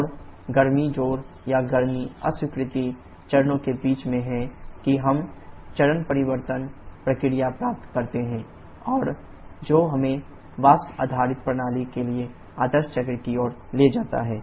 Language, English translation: Hindi, And in between the heat addition and heat rejection stages that we get the phase change process, and that leads us to the ideal cycles for vapour based system